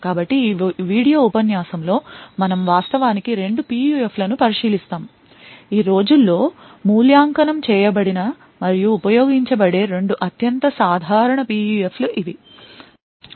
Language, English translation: Telugu, So, in this video lecture we will actually look at two PUFs; these are the 2 most common PUFs which are evaluated and used these days, So, this is the Arbiter PUF and something known as the Ring Oscillator PUF